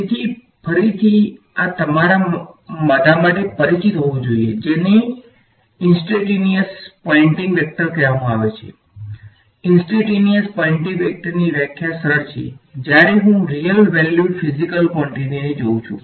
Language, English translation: Gujarati, So, again this should be familiar to all of you have what is called the instantaneous Poynting vector the definition of instantaneous Poynting vector is simplest when I look at real valued physical quantities ok